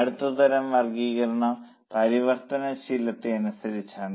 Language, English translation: Malayalam, Now the next type of classification is as per variability